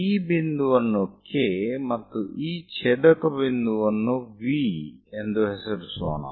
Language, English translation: Kannada, Let us name this point K and the intersection point as V